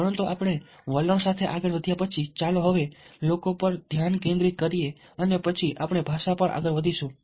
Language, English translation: Gujarati, but after moving on from moving on, ah, with attitude, let us now focus on the people and then we will move on to language